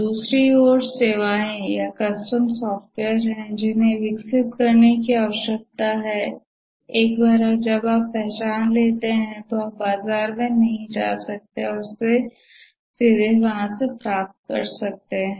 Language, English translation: Hindi, On the other hand, the services are custom software which needs to be developed once you identify this, you can just go to the market and directly get it